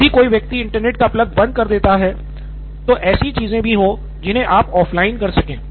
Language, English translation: Hindi, So in case somebody pulls the plug on the Internet, also there is things that you can still do offline